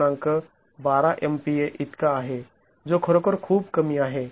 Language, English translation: Marathi, 012 megapascals which is really very low